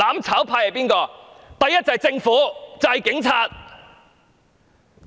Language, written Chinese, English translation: Cantonese, 首先便是政府和警察。, First of all they are the Government and the Police